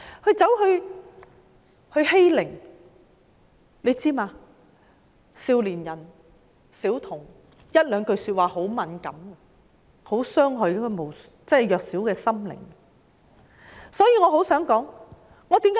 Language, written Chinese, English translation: Cantonese, 大家是否知道，少年和小童會對一些說話很敏感，他們的弱小心靈會容易受到傷害？, Do people know that youngsters and small children are very sensitive to certain remarks and they with vulnerable state of mind can be easily hurt?